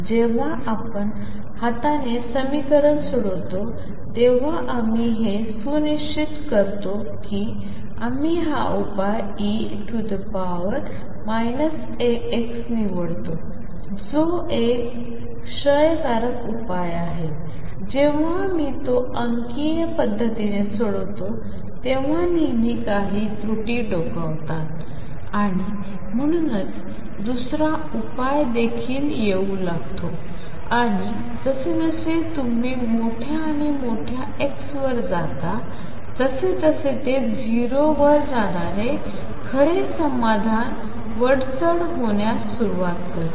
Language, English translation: Marathi, When we solve the problem by hand then we make sure that we pick this solution E raise to minus alpha x which is a decaying solution, when I solve it numerically there are always some errors peeping in and therefore, the second solution also it starts coming into the picture and as you go to larger and larger x it starts dominating the true solution which should go to 0